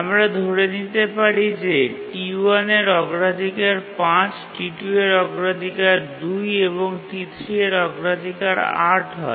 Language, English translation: Bengali, We have these, let's assume that T1's priority is 5, T2's priority is 2 and T3's priority is 8